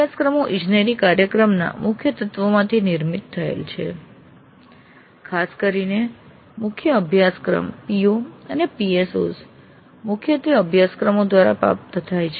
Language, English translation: Gujarati, Courses constitute major elements of an engineering program particularly the core courses and POs and PSOs have to be majorly attained through courses